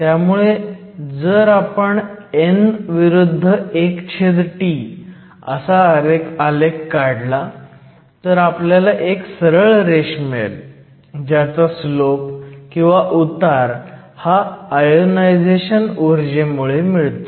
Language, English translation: Marathi, So, if you plot n versus 1 over t, we are going to get a straight line with the slope that was given by the ionization energy